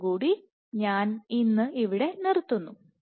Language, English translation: Malayalam, With that I stop today, I stop here today